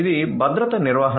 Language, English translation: Telugu, So, this is security management